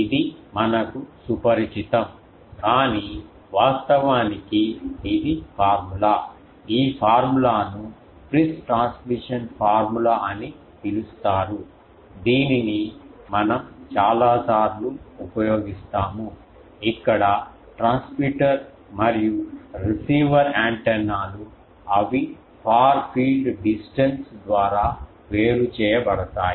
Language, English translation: Telugu, This is we are familiar with, but in actual this is the formula, this formula is called Friis transmission formula many time we use this the assumptions here are the transmitter and receiver antennas they are separated by the far field distance